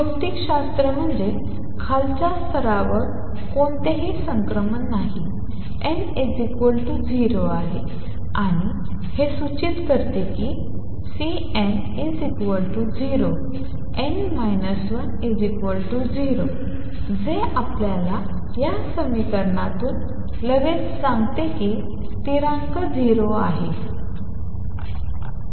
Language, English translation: Marathi, Physics is no transition to lower level takes place from the ground state that is n equal to 0 and this implies that C n equal to 0 n minus 1 should be equal to 0, which immediately tells you from this equation that constant is equal to 0